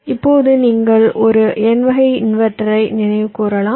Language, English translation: Tamil, now for an n type inverter, if you recall